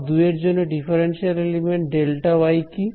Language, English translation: Bengali, So, for path 2, what is the differential element delta y